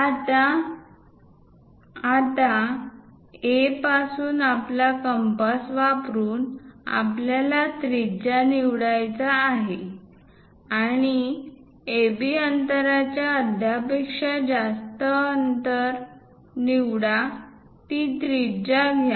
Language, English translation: Marathi, Now, using our compass from A; what we have to do is; pick a radius, pick a radius greater than half of AB